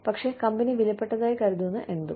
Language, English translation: Malayalam, But, anything that, the company considers valuable